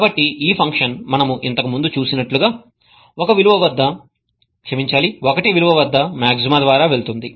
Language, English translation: Telugu, So, this function as we had seen earlier goes through a maxima at value of 1